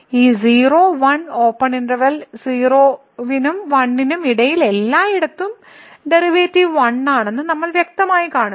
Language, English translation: Malayalam, And, then we clearly see the derivative is 1 everywhere here between these two 0 and 1 open interval 0 and 1